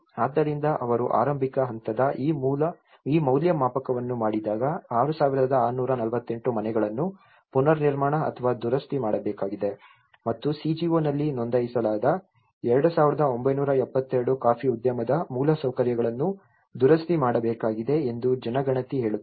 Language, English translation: Kannada, So, when they make this assessment of the early stage the census says 6,648 houses need to be reconstructed or repaired and 2,972 coffee industry infrastructures registered with the CGO need to be repaired